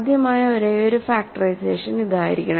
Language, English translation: Malayalam, This must be the only possible factorization